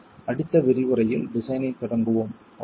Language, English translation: Tamil, And we will begin design in the next lecture